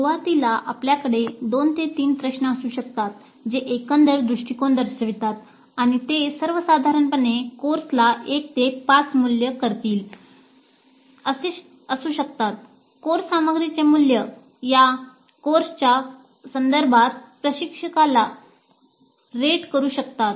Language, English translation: Marathi, Then initially we can have two three questions which elicit the overall view and that can be like rate the course in general 1 to 5 rate the course content rate the instructor with reference to this course